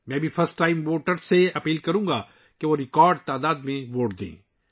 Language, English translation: Urdu, I would also urge first time voters to vote in record numbers